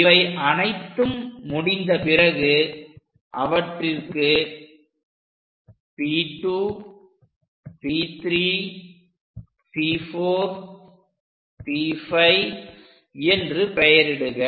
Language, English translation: Tamil, Once it is done, label them P 2, P 3 is already there, this is P 4, P 5 points